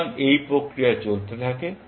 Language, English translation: Bengali, So, this process continues